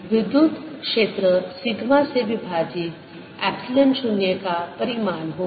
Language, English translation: Hindi, the electric field is going to be sigma over epsilon zero